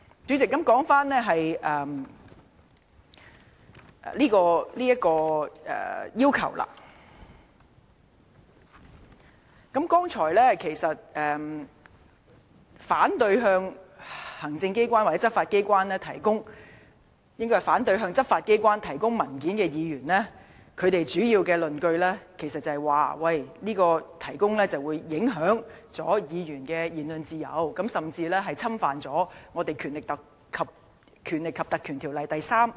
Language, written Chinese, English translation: Cantonese, 主席，關於今次的請求。剛才發言反對向執法機關提供文件的議員，主要的論據是給予特別許可將會影響議員的言論自由，甚至違反《條例》第3條及第4條的規定。, President with regard to the present request the major justification given by Members who have just spoken in opposition to the submission of documents to the enforcement authorities is that the granting of special leave may affect Members freedom of speech and even infringe sections 3 and 4 of the Ordinance